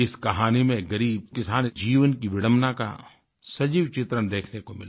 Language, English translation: Hindi, In this story, the living depiction of the paradoxes in a poor farmer's life is seen